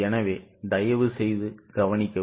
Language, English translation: Tamil, So, please note it